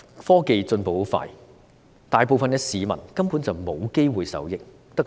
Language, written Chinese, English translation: Cantonese, 科技進步得很快，大部分市民根本無機會受益，只能盼望。, Science and technology are advancing at such a rapid pace that most people have no chance to benefit from them at all . They can only wait and hope